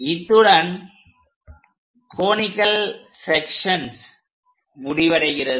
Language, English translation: Tamil, In this, we are completing the Conic Sections part